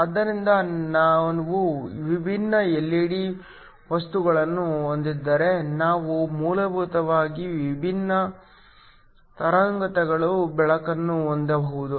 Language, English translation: Kannada, So, if we have different LED materials, we can basically have light of different wavelengths